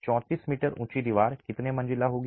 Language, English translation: Hindi, A 34 meter high wall would be how many stories